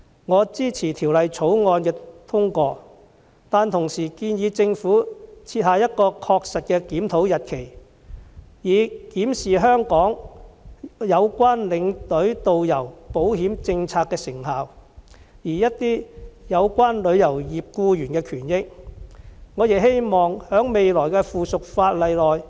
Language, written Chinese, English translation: Cantonese, 我支持《條例草案》的通過，但同時建議政府設下確實的檢討日期，以檢視有關領隊導遊保險政策的成效，而一些有關旅遊業僱員的權益，我亦希望在未來的附屬法例中，政府能有所關顧。, While I support the passage of the Bill I suggest that the Government should fix date for reviewing the effectiveness of insurance policies for tourist guides and tour escorts and I hope that the Government will give more regard to the interests of employees in the travel industry when enacting subsidiary legislation in future